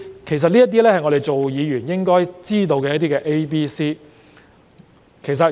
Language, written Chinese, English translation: Cantonese, 其實，這是我們作為議員理應知道的 ABC。, In fact these are the basics that all of us should know as Members